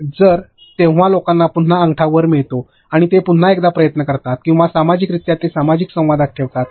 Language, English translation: Marathi, So, when that happens people again get a thumbs up to come and try once more or simply socially just put it into social interaction